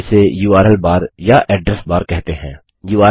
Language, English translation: Hindi, It is called the URL bar or Address bar